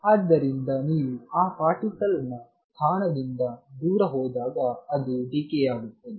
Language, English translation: Kannada, So, that as you go far away from that position of the particle it decay